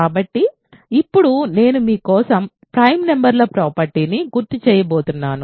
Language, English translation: Telugu, So now, I am going to recall for you a property of prime numbers